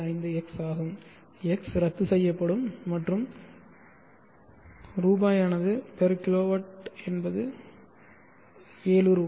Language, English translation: Tamil, 825x, x will cancel of and the Rs/ kw is 7Rs so this is the cost / kw